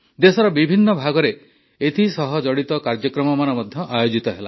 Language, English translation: Odia, Across different regions of the country, programmes related to that were held